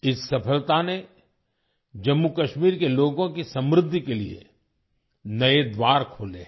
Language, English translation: Hindi, This success has opened new doors for the prosperity of the people of Jammu and Kashmir